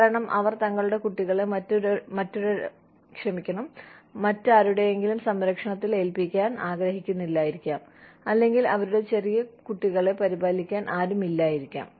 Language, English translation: Malayalam, Because, they do not want to leave their children, in the care of, or they do not have anyone, to take care of their little children